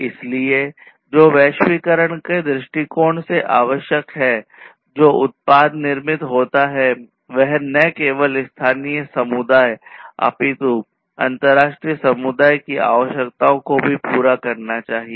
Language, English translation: Hindi, So, what is required is from the globalization point of view the product that is manufactured should not only cater to the needs of the local community, but also to the international community